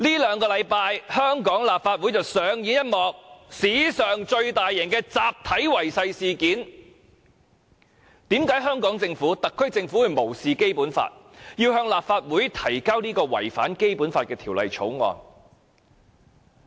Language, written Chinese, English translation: Cantonese, 香港立法會在這兩星期上演了一幕史上最大型的集體違誓事件，為何特區政府會無視《基本法》，向立法會提交這項違反《基本法》的《條例草案》？, The Hong Kong Legislative Council has staged an unprecedented large - scale collective oath - breaking event over the past two weeks . Why would the SAR Government ignore the Basic Law and introduced the Bill that contravenes the Basic Law into this Council?